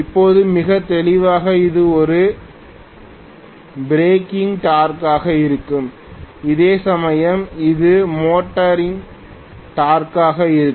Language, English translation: Tamil, Now, very clearly this is going to be a breaking torque whereas this is going to be the motoring torque